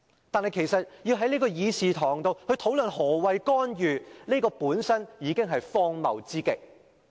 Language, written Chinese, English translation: Cantonese, 但是，要在會議廳討論何謂"干預"，本身已是荒謬之極。, However the fact that we have to discuss in the Chamber the definition of interference is already very ridiculous